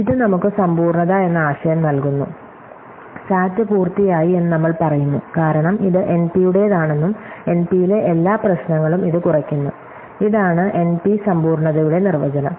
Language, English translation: Malayalam, So, this gives us the notion of completeness, we say the SAT is complete, because it belongs to NP and every problem in NP reduces to it, this is the definition of NP completeness